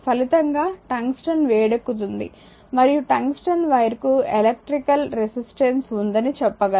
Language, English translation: Telugu, So, therefore, resulting in heating of the tungsten and we can say that tungsten wire had electrical resistance